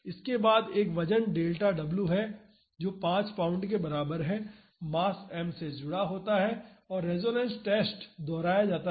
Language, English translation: Hindi, Next a weight delta w which is equal to 5 pounds is attached to the mass m and the resonance test is repeated